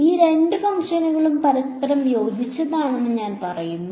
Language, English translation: Malayalam, We say that these two functions are orthogonal to each other right